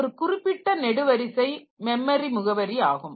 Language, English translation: Tamil, This particular column is the memory address